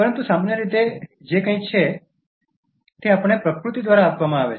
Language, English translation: Gujarati, But generally, it is something that is being given to us by nature